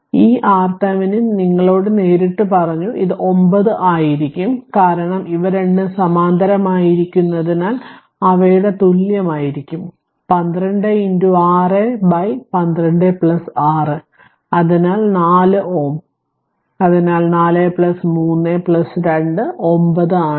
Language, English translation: Malayalam, So, this R Thevenin your R Thevenin directly I told you, it will be your 9 ohm, because this two are in parallel their equivalent will be your 12 into 6 by 12 plus 6 so 4 ohm so, 4 plus 3 plus 2 so it is 9 ohm